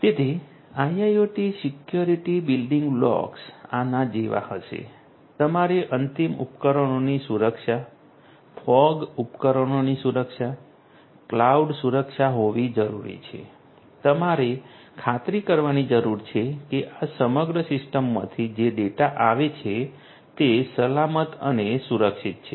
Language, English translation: Gujarati, So, IIoT security building blocks would be like this, you need to have end devices security, fog devices security, cloud security you need to ensure that the data that is coming in from this whole system that is secured and protected